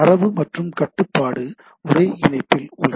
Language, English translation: Tamil, Data and control are over the same connection right